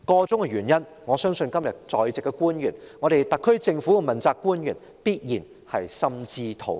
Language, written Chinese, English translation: Cantonese, 箇中原因，我相信今天在席的官員、特區政府的問責官員必然心知肚明。, As for the reasons concerned I believe government officials and accountability officials of the SAR Government in the Chamber today definitely know these all too well